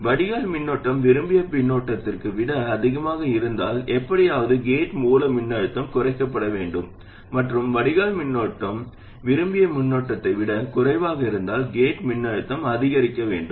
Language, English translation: Tamil, If the drain current is more than the desired current, somehow the gate source voltage must reduce and if the drain current is less than the desired current, the gate source voltage must increase